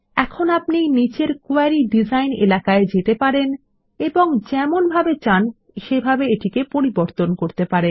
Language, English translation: Bengali, Now we can go to the query design area below and change it any way we want